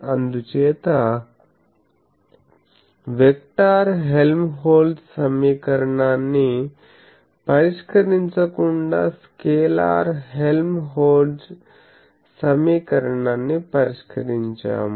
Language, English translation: Telugu, So, it was a one dimensional source that is why we got away without solving the vector Helmholtz equation, we actually solved the scalar Helmholtz equation